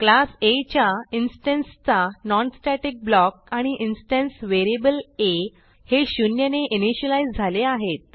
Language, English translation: Marathi, non static block of an instance of class A and the instance variable a is initialized to 0